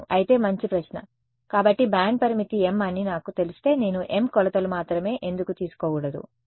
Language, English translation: Telugu, Yeah, but yeah good question; so, if I know the band limit to be m why should I not take m measurements only